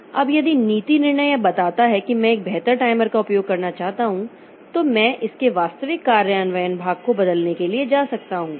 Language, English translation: Hindi, Now if the policy decision tells that, okay, I want to use a better timer, then I can go for changing the actual implementation part of it